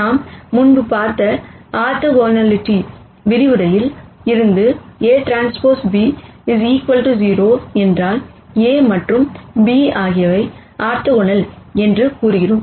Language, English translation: Tamil, And from our orthogonality lecture we saw before, we said if a transpose b equal to 0, then a and b are orthogonal